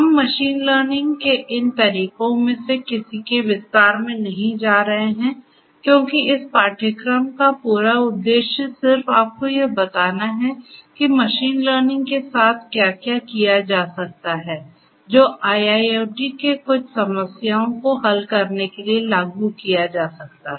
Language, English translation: Hindi, We are not going to go through any of these methods of machine learning in detail because the whole purpose of this course is just to expose you to what is out there with machine learning which can be applied for solving some of the problems in IIoT